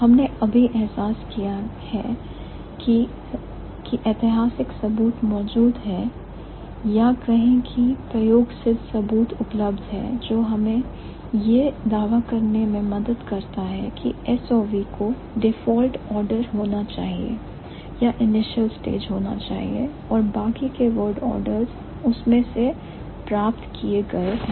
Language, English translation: Hindi, We just realized that there has been historical evidence or there has been empirical evidence which helps us to claim that S V, I'm sorry S O V should be the default order or should be the initial stage and the rest of the order does have been derived from that